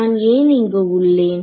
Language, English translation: Tamil, So, what I am here